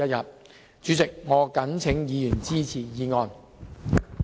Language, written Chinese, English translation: Cantonese, 代理主席，我謹請議員支持議案。, Deputy President I implore Members to support the motion